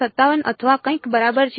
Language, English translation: Gujarati, 57 or something ok